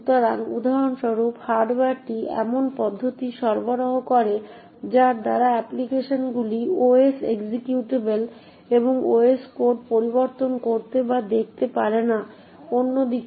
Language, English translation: Bengali, So, for example the hardware provides mechanisms by which the applications cannot modify or view the OS executable and the OS code, on the other hand